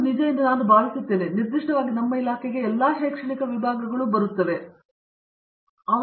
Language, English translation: Kannada, And, I think that is true, while is true for our department in particular, I think all of I mean all academic departments should be in that mode